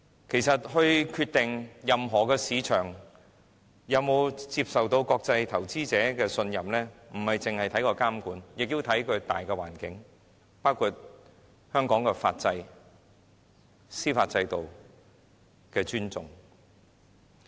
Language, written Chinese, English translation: Cantonese, 其實，決定任何市場是否受到國際投資者的信任，並非只着眼於監管，更要視乎大環境，包括香港對法制、對司法制度的尊重。, In fact whether a market is trusted by international investors is not determined solely by the regulatory regime . Much also depends on the macro environment including our respect for the laws institutions and judicial system of Hong Kong